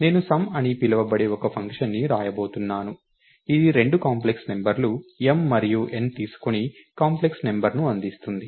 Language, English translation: Telugu, So, I am going to write a function call sum, which takes two complex numbers m and n and returns a complex number